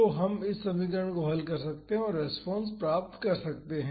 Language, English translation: Hindi, So, we can solve this equation and find the response